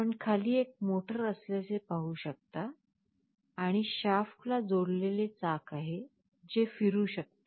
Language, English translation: Marathi, You can see there is a motor down below and there is a wheel that is connected to the shaft, which can rotate